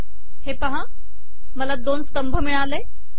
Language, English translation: Marathi, So I have this, two columns